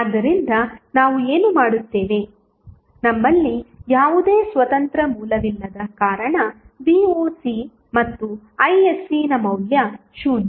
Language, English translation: Kannada, So, what we will do, since we do not have any independent source, the value of Voc and Isc is 0